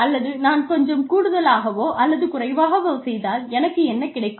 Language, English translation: Tamil, And, what I will get, if I do a little extra, or a lot extra, is not very much, or there is no difference